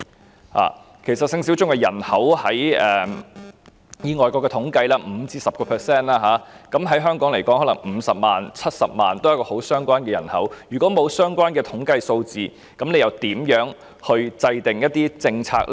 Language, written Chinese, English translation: Cantonese, 根據外國的統計，其實性小眾的人口為 5% 至 10%， 若以香港來說，可能有50萬人、70萬人為性小眾，也是相當多的人口，如果沒有相關的統計數字，政府又如何制訂政策？, According to the statistics in foreign countries sexual minorities account for 5 % to 10 % of the total population . It can be projected that there may be 500 000 or 700 000 sexual minorities in Hong Kong which makes quite a large population . How can the Government formulate policies without such relevant statistical data?